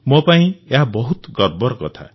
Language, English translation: Odia, It is a matter of great pride for me